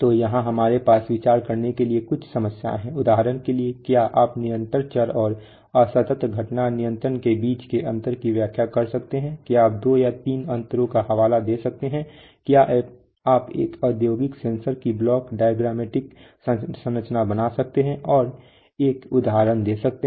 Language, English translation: Hindi, So here we have some problems points to ponder, for example, can you explain the differences between continuous variable and discrete event control, can you cite two or three differences, can you draw the block diagrammatic structure of an industrial sensor and give an example